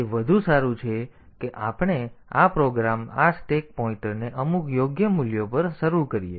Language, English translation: Gujarati, So, it is better that we initialize this program this stack pointer to some proper values